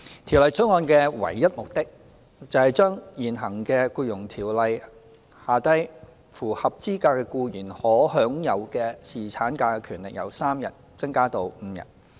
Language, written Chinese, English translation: Cantonese, 《條例草案》的唯一目的，是將現行在《僱傭條例》下符合資格的僱員可享有的侍產假權利由3天增加至5天。, The sole purpose of the Bill is to increase the paternity leave entitlement from three days to five days in respect of an eligible employee under the existing Employment Ordinance